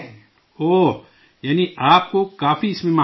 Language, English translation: Urdu, Oh… that means you have mastered it a lot